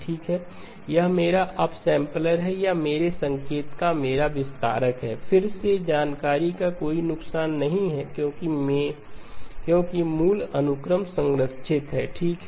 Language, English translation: Hindi, That is my upsampler or my expander of my signal, again no loss of information because the original sequence is preserved okay